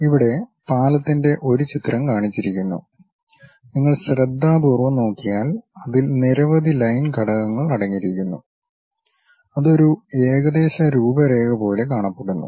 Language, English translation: Malayalam, Here a picture of bridge is shown, if you look at carefully it contains many line elements, it looks like a wireframe